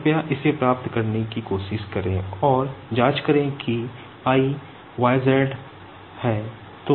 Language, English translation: Hindi, Please try to derive this and check then I yz